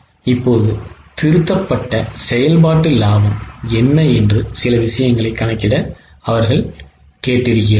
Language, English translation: Tamil, Now, they had asked us to compute a few things as to what will be the revised operating profit